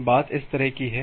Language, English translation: Hindi, So, now the thing is that like this